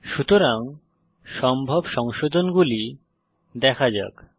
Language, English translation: Bengali, So let us look at the possible fixes.